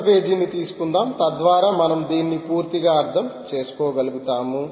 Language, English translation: Telugu, sorry, lets take a new page ah, so that we will be able to understand this thoroughly